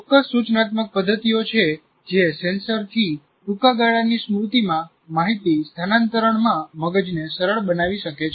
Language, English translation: Gujarati, There are certain instructional methods can facilitate the brain in dealing with information transfer from senses to short term memory